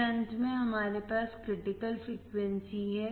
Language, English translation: Hindi, Then finally, we have critical frequency